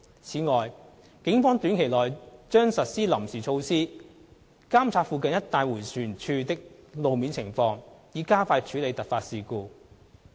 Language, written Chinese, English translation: Cantonese, 此外，警方短期內將實施臨時措施監察附近一帶迴旋處的路面情況，以加快處理突發事故。, In addition the Police will implement interim measures shortly to monitor the road situation at roundabouts in nearby areas with a view to speeding up actions to tackle unforeseen incidents